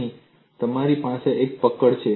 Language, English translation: Gujarati, Here you have a catch